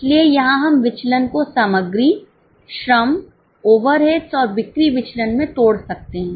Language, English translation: Hindi, So, here we can break down the variance into material, labour, overades and sales variances